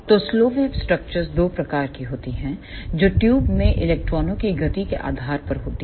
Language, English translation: Hindi, So, slow wave structures are of two types depending upon the movement of electrons in the tube